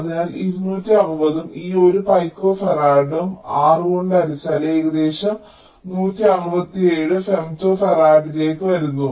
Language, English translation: Malayalam, so two, sixty two, sixty two, sixty, and this one picofarad divide by six it comes to one sixty seven, femto farad approximately